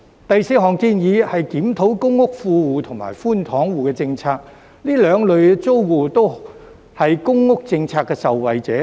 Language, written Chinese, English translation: Cantonese, 第四項建議是檢討公屋富戶及寬敞戶政策，這兩類租戶都是公屋政策的受惠者。, The fourth proposal is to review the policies on well - off tenants and under - occupation households in public rental housing both of whom are beneficiaries of the public housing policy